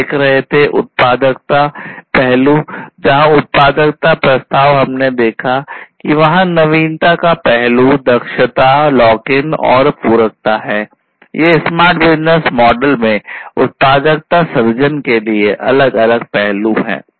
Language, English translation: Hindi, So, we you know we were looking into the value aspect the value proposition where we have seen there is this novelty aspect, efficiency, lock in, and complementarity, these are the different value creation aspects in a smart business model